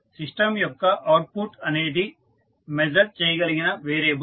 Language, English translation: Telugu, An output of a system is a variable that can be measured